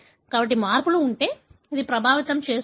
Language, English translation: Telugu, So, if there are changes, would it affect